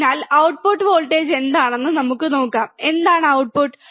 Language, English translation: Malayalam, So, what is the output voltage let us see, what is the output